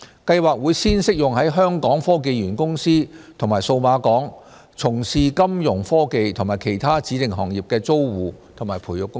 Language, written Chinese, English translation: Cantonese, 計劃會先適用於在香港科技園公司及數碼港從事金融科技及其他指定行業的租戶和培育公司。, The Scheme will as a start be applicable to tenants and incubatees of the Hong Kong Science and Technology Parks Corporation and Cyberport